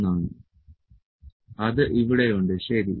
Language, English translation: Malayalam, 00 and it is here, ok